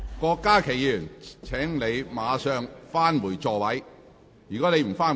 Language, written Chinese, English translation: Cantonese, 郭家麒議員，請立即返回座位。, Dr KWOK Ka - ki please return to your seat